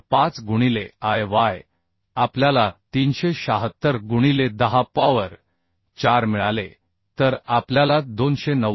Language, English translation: Marathi, 5 into Iy we got 376 into 10 to the 4 then uhh 290